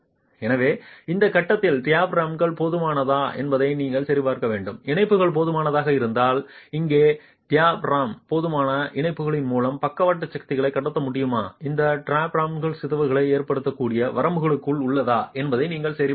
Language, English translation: Tamil, So at this stage you have to check if the diaphragm is adequate, if the connections are adequate, and here if the diaphragm is going to be able to transmit the lateral forces through adequate connections, then you now have to check if the diaphragm deformations are within acceptable limits